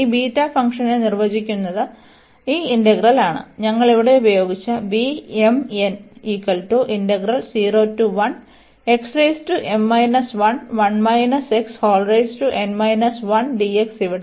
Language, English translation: Malayalam, So, coming to this again this first integral here on B m n